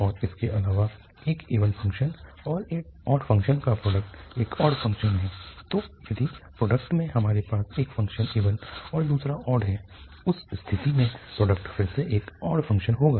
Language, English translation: Hindi, And, moreover the product of an even function and an odd function, so, if we have in the product one function is even and the other one is odd, in that case the product will be again an odd function